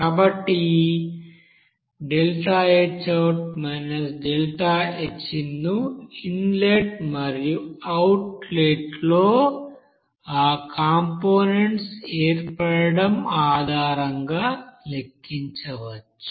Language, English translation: Telugu, So thus deltaHout minus deltaHin that can be calculated based on that formation of that components in the inlet and outlet